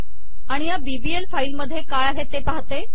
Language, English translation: Marathi, And let me see what this file bbl has